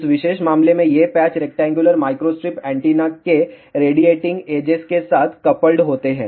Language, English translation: Hindi, In this particular case these patches are coupled along the radiating edges of the rectangular microstrip antenna